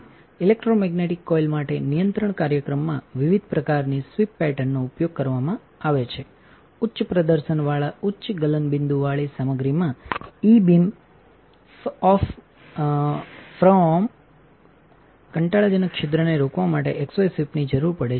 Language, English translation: Gujarati, Variety of sweep patterns are used in control program for electromagnetic coil, materials with high performance high melting point require X Y sweep to prevent the E beam from boring a hole